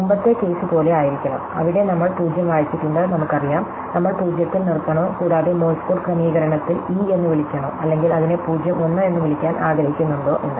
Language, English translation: Malayalam, We should not be like the earlier case, where we have read 0 and we do know, whether we stop at 0 and call it an e in the Morse code setting or we want to call it an a which is 0 1